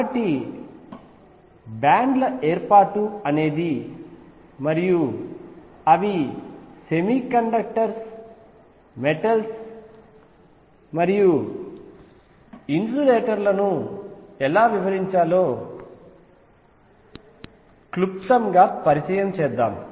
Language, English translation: Telugu, So, with this we conclude a brief introduction to formation of bands and how they explain semiconductors metals and insulators